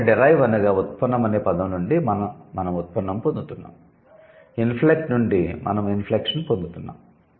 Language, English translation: Telugu, So, from the word derive we are getting derivation, from inflect we are getting inflection